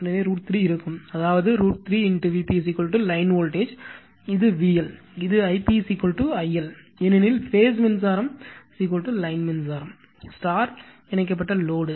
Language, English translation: Tamil, So, root 3 will be there, I mean root 3 V p is equal to your line voltage, it is V L, and this I p is equal to I L right, because phase current is equal to line current you star your star connected load